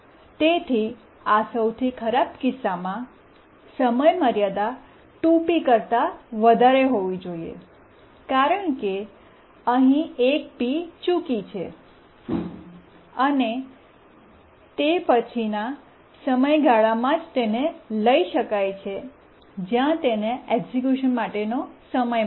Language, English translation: Gujarati, Therefore, in this worst case, the deadline must be greater than 2PS because 1 PS it just missed here, so only it can be taken over in the next period where it gets a time slot for execution